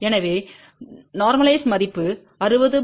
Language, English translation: Tamil, So, the normalized value is 60 by 50, 1